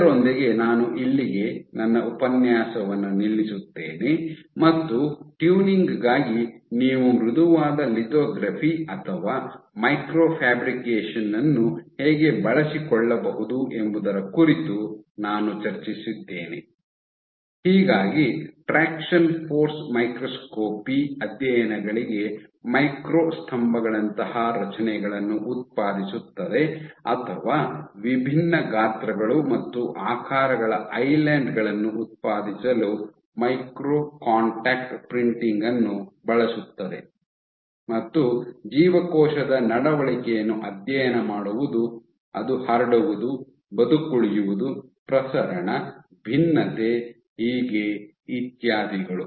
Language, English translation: Kannada, So, with that I stop my lectures here and I to summarize I have discussed how you can make use of soft lithography or microfabrication, for tuning generating structures like micro pillars for your traction force microscopy studies or using micro contact printing to generate islands of different sizes and shapes, and study cell behaviors beat spreading survival proliferation differentiation so on and so forth